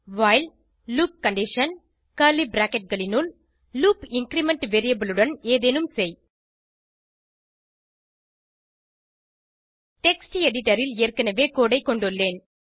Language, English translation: Tamil, while loop condition { do something with loop increment variable } I already have the code in a text editor